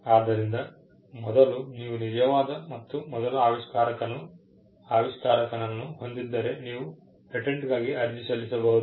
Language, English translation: Kannada, So, first you have the true and first inventor; can apply for a patent